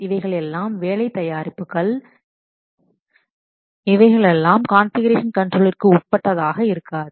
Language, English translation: Tamil, These are the work products which will not be subject to the configuration control